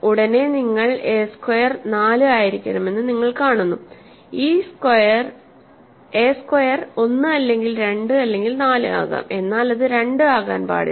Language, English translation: Malayalam, And a immediately you see that a squared has to be 4, a squared has to be either 1 or 2 or 4, it cannot be 2